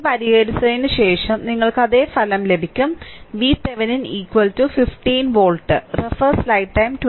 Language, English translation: Malayalam, After solving this, you will get same result, V Thevenin is equal to 15 volt right